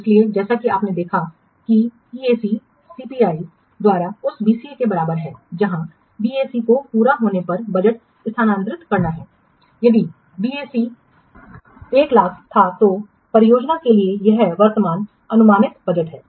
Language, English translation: Hindi, So as we have seen that EAC is calculated at BAC by CPI where BAC which stands for budget at the completion, it is the current projected budget for the project